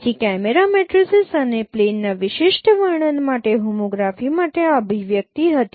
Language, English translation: Gujarati, So, this was the expression for the homography for a particular particular description of the camera matrices and the plane